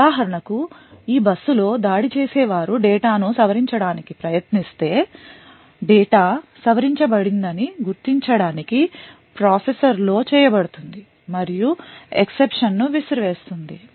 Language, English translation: Telugu, So, for example if an attacker tries to modify this data on this bus checks would be done in the processor to identify that the data has been modified and would throw an exception